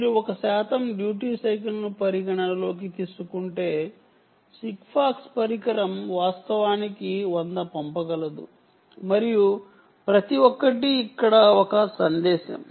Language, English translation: Telugu, if you consider a one percent duty cycle, ah, sigfox device can actually send a hundred and each is a message here